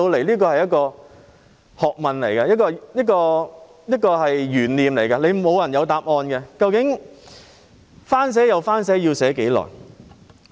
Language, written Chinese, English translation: Cantonese, 這是一門學問，也是一個懸念，沒有人知道答案，究竟重寫又重寫，要多久才能成事？, This is a kind of knowledge which is also anyones guess as no one knows the answer . How long will it take to get the job done when the measures have to be rewritten again and again?